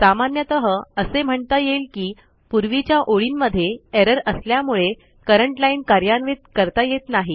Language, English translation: Marathi, It usually says the current line cant be run may be because of an error on previous line